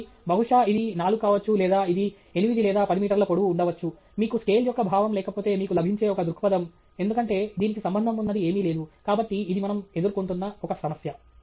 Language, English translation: Telugu, So, may be this is may be 4 or may be this is 8 or 10 meters tall is one, you know, perspective that you may get, if you have no sense of scale right, because there is nothing to relate to; so, that’s one issue that we face